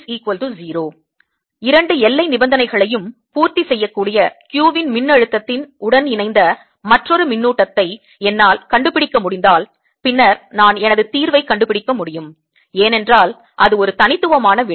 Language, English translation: Tamil, if i can find another charge that satisfies that combine with this potential of q, satisfies both the boundary conditions, then i have found my solution because that's a unique answer